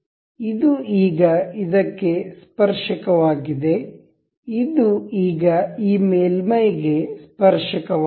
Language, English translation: Kannada, This is now tangent to this, this is now tangent to this surface